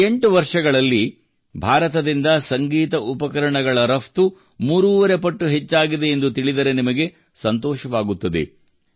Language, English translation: Kannada, You will be pleased to know that in the last 8 years the export of musical instruments from India has increased three and a half times